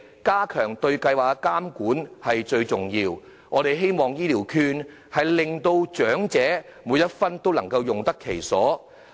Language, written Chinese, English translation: Cantonese, 加強對計劃的監管是很重要的，我們希望長者能把醫療券每一分都用得其所。, It is important to strengthen monitoring of the programme . We hope every cent of the healthcare vouchers is well spent on elderly persons